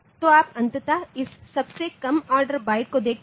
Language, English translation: Hindi, So, you see ultimately this lowest order byte